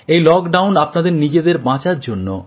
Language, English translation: Bengali, This lockdown is a means to protect yourself